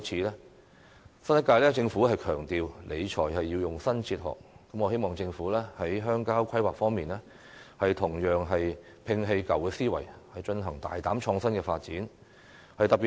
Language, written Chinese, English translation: Cantonese, 新一屆政府強調理財要用新哲學，我希望政府在鄉郊規劃方面同樣摒棄舊思維，進行大膽創新的發展。, As the new Government stresses the adoption of a new philosophy in public finance management I hope that the Government will likewise discard its old way of thinking in rural planning and undertake bold and innovative development